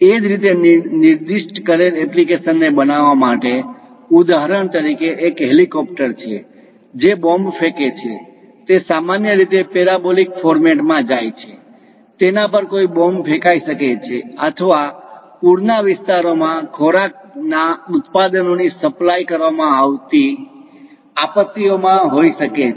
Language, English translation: Gujarati, Similarly to target specified application, for example, there is an helicopter which is releasing a bomb; it usually goes in parabolic format, it might be bombed or perhaps in calamities supplying food products to flooded zones